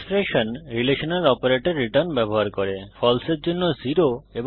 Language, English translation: Bengali, Expressions using relational operators return 0 for false and 1 for true